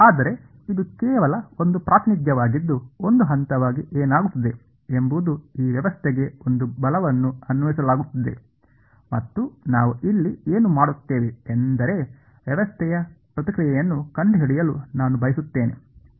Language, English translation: Kannada, But its just a representation to keep in your mind that what is happening as one point there is a force being applied to this system and I want to find out the response of the system that is what we will doing over here